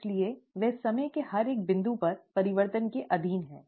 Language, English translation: Hindi, So they, they are subject to changes at every single point in time